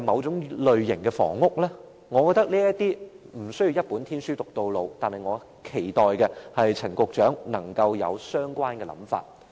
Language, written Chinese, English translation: Cantonese, 在這問題上，我覺得無須"一本天書讀到老"，而我更期待陳局長能夠廣納相關的構思。, Regarding this matter I think we may need to think out of the box and I very much hope that Secretary Frank CHAN would welcome all related ideas and suggestions